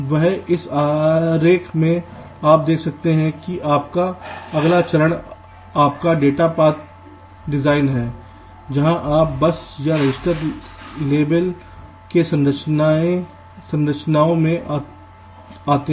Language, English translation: Hindi, now in this diagram you see that your next step is your data path design where you come to the bus or the register levels, structures